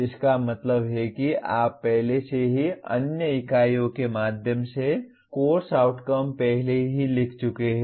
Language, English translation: Hindi, That means you have already written course outcomes earlier through other units